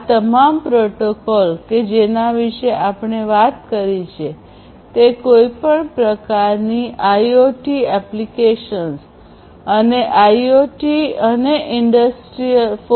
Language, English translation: Gujarati, All these protocols that we have talked about are very much attractive for use with any kind of IoT applications and IoT and industry 4